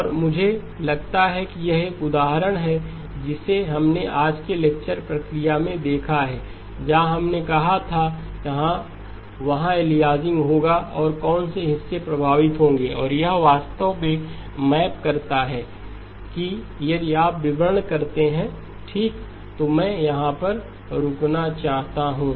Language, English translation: Hindi, And I think this is an example we have looked at in the process of today's lecture where we said that yes there will be aliasing and what portions will be affected and this exactly maps to that if you work out the details okay, so let me stop here